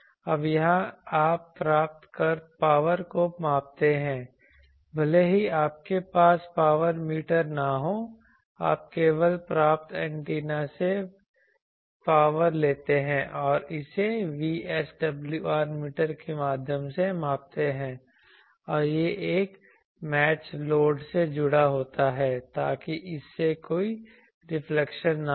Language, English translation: Hindi, Now, here you measure received power actually even if you do not have a power meter, you just take the power from the received antenna and measure it even through a VSWR meter actually in you can do it use a VSWR meter and that is connected to a match load, so that there is no reflection from that